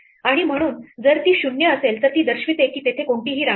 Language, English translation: Marathi, And therefore, if it is 0 it indicates there is no queen